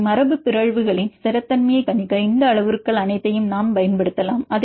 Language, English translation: Tamil, Then also you can use different rules for predicting the stability of this mutations